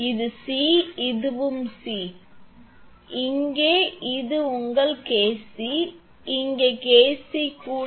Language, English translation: Tamil, This is C, this is also C, this is also C, and this one and here this is your KC, here also KC